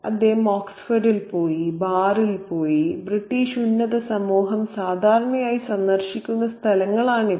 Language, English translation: Malayalam, He went to Oxford, he went to the bar and these are places visited usually by the British Higher Society